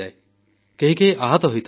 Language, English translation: Odia, An injury can also occur